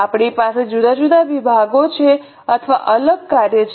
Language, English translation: Gujarati, We are having different departments or different functions